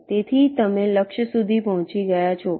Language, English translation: Gujarati, so you have reached the target